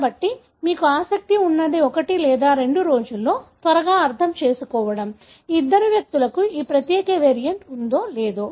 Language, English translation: Telugu, So, what you are interested is to quickly understand within a day or two, whether these two individuals have this particular variant or not